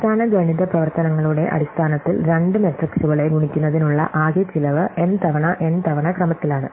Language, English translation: Malayalam, So, the total cost of multiplying two matrices in terms of basic arithmetic operations is of the order of m times n times p